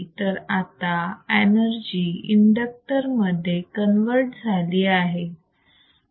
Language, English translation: Marathi, Because now the energy is converted into the inductor